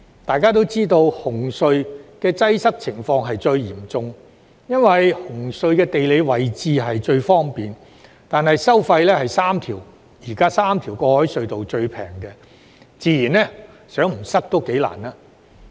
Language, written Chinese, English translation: Cantonese, 大家知道紅隧的擠塞情況最嚴重，因為紅隧的地理位置最方便，但收費卻是現時3條過海隧道中最便宜，擠塞自然在所難免。, It is widely known that traffic congestion at CHT is the most serious . Though most conveniently located CHT charges the lowest tolls among the three existing harbour crossings thus inevitably leading to traffic congestion